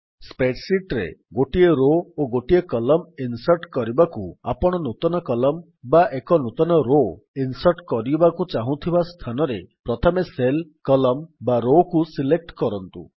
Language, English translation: Odia, In order to insert a single row or a single column in the spreadsheet, first select the cell, column or row where you want the new column or a new row to be inserted